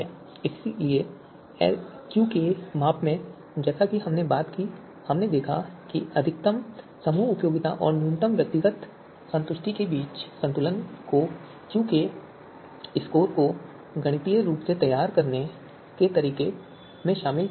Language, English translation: Hindi, So in the QK measure we talked about so there we saw that a balance between the you know you know maximum group utility and a minimum individual satisfaction that was incorporated in the way QK score was you know formulated mathematically right